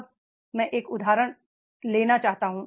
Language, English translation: Hindi, Now I would like to take an example